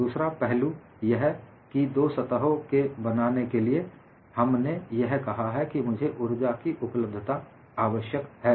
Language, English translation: Hindi, Another aspect is, we have sent for the formation of two new surfaces; I need energy to be available